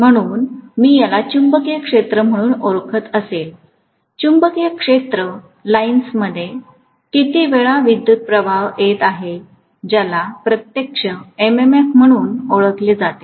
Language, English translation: Marathi, So if I call this as the magnetic field line, how many times the magnetic field line is encountering the current that is actually known as the MMF